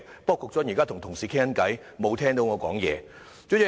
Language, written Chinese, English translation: Cantonese, 不過，局長現正與同事聊天，沒有聽到我的發言。, However the Secretary is not listening to me as he is now chatting with a colleague